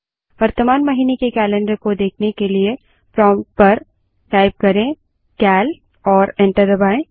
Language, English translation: Hindi, To see the current months calendar, type at the prompt cal and press enter